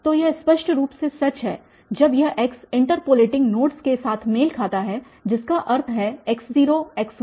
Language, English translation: Hindi, So, that is obviously true when this x coincides with the interpolating nodes meaning these x naught, x1, x2, x3 and so on